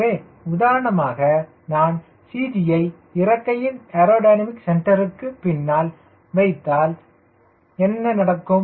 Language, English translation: Tamil, ah, first case, i put cg behind the aerodynamic centre of the wing